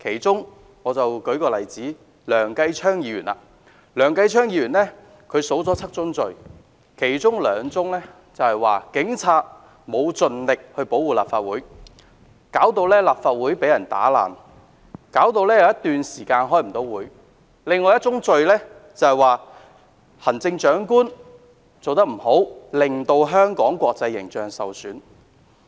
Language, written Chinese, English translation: Cantonese, 就以梁繼昌議員所列舉"七宗罪"的其中兩宗為例，其一是指控警察沒有盡力保護立法會，致使立法會遭嚴重破壞，因而有頗長一段時間無法開會；另一宗罪則指控行政長官做得不好，令香港的國際形象受損。, Take for instance the two out of the seven crimes cited by Mr Kenneth LEUNG one of which being the accusation against the Police for failing to do their utmost to protect the Legislative Council Complex as a result it suffered serious damage and no meeting could be held in it for a long period of time while the other being the accusation against the Chief Executive for failing to do a good job thus tarnishing Hong Kongs international image